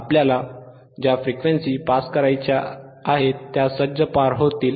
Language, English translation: Marathi, Frequencies that we want to pass will easily pass